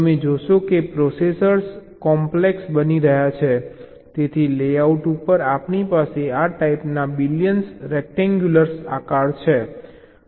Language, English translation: Gujarati, you see, as the processors are becoming complex, so so, so on a layout we are having billions of this kind of rectangular shapes